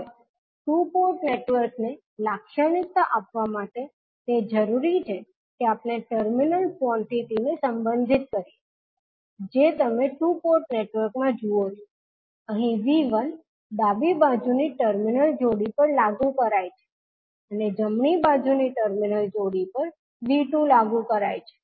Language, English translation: Gujarati, Now, to characterize the two port network, it is required that we relate the terminal quantities that is V1, V2, I1, I2 which you see in the two port network, here V1 is applied across terminal pair on the left side, and V2 is applied across the terminal pair on the right side I1 flows from port 1, and I2 flows from port 2